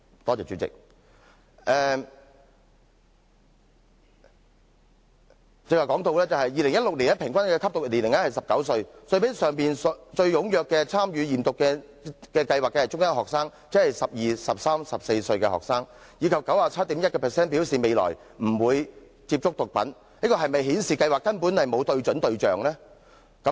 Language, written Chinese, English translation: Cantonese, 我剛才提到2016年平均首次吸毒年齡是19歲，但之前也提過最踴躍參與驗毒計劃的學生為中一學生，即12歲、13歲或14歲的學生，而且 97.1% 的學生表示未來兩年不會接觸毒品，凡此種種是否顯示計劃根本沒有對準對象？, Just now I mentioned the average age of first abuse in 2016 was 19 . But I have also mentioned earlier that the most active participants in the drug testing scheme were Form One students meaning students aged 12 13 or 14 and 97.1 % of the students said they would not take drugs in the coming two years . Do all these facts suggest that the scheme was not directed at the correct targets?